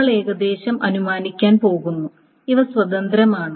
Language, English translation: Malayalam, We are roughly going to assume those are independent